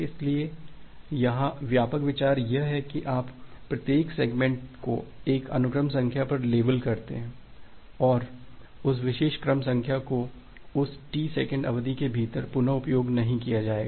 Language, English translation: Hindi, So, here is the broad idea that you label every segment to a sequence number, and that particular sequence number will not be reused within that T second duration